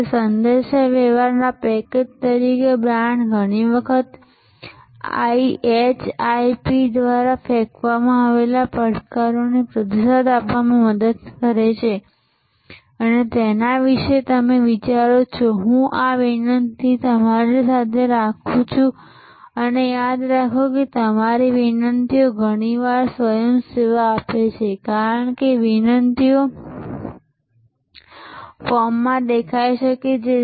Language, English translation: Gujarati, So, brand as a package of communication often help us to respond to the challenges thrown up by IHIP and you think about it I leave this request with you and remember, that my requests are often self serving, because these requests may appear in the form of certain questions when you respond your quiz or examinations